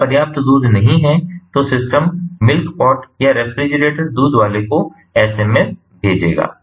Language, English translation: Hindi, if there is no sufficient milk, then the system as a whole will send, or the milk pot or the refrigerator will send an sms to the milk person